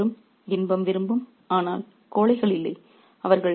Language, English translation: Tamil, Both friends were pleasure loving, but no cowards